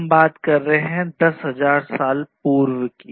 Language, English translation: Hindi, And this we are talking about more than 10,000 years back